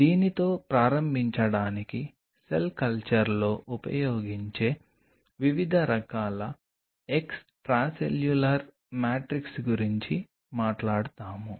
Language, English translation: Telugu, To start off with we will be talking about different types of extracellular matrix used in cell culture